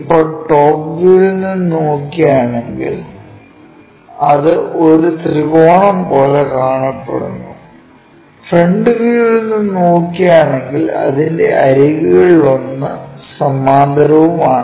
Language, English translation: Malayalam, Now, if we are looking from top view, it looks like a triangle and if we are looking from a front view because one of the edge is parallel